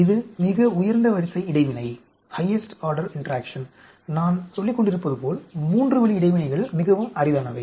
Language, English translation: Tamil, This is the highest order interaction and as I have been telling that 3 way interactions are very rare